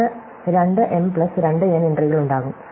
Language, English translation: Malayalam, It will have, say, 2 m plus 2 n entries